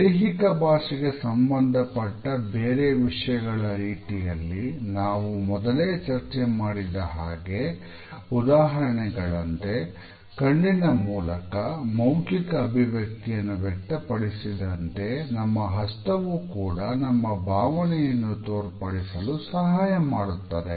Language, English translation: Kannada, At the same time like other aspects of our body language which we have already discussed, for example, our facial expressions through the eyes as well as through our mouth, our hands also reflect the emotional state